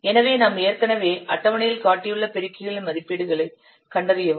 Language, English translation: Tamil, So find out the values of the multipliers in this what we have already shown in the table